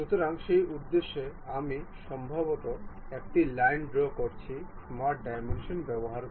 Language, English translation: Bengali, So, for that purpose, I am drawing a line perhaps the using smart dimensions